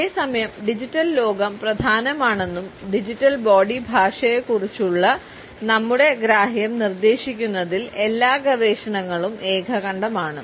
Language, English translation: Malayalam, Whereas, all the researches are unanimous in suggesting that the digital world is important and so is our understanding of digital body language